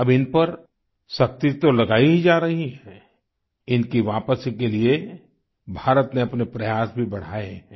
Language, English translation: Hindi, Now not only are they being subjected to heavy restrictions; India has also increased her efforts for their return